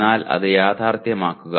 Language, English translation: Malayalam, But make it realistic